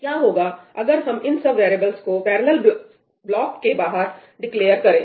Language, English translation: Hindi, What happens if we declare these variables outside the parallel block